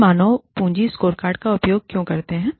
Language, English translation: Hindi, We talk about, human capital scorecards